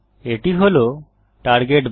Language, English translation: Bengali, This is the Target bar